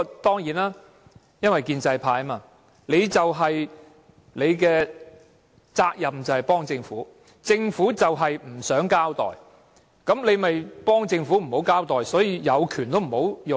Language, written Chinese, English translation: Cantonese, 當然，因為他們是建制派，責任就是幫助政府，政府不想交代事件，他們就要給予幫助，所以他們有權都不會運用。, Certainly it is because they are the pro - establishment camp and their responsibility is to help the Government . If the Government does not want to brief the public on any matter they will have to help the Government to do so . They thus will not exercise their power